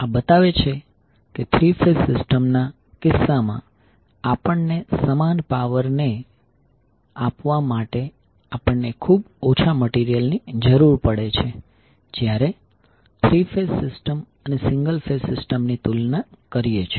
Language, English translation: Gujarati, So this shows that incase of three phase system, we need considerably less material to deliver the same power when we compare with the three phase system and the single phase system